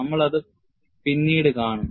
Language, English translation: Malayalam, We will see that later